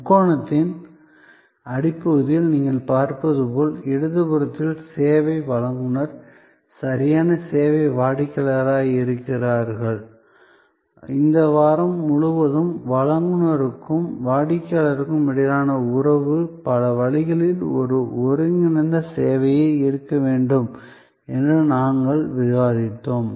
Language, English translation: Tamil, As you see at the bottom of the triangle we have on the left the service provider on the right service customer and we have discussed throughout this week that this relationship between the provider and the customer has to be very interactive services in many ways a co produced feeling, where the customer is a co creator